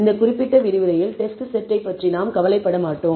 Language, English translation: Tamil, We will not worry about the test set in this particular lecture